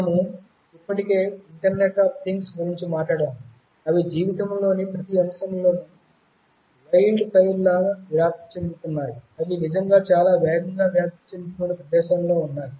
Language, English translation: Telugu, We have already talked about internet of things, they are spreading like wildfire across every aspect of a life, there are places where they are really spreading very fast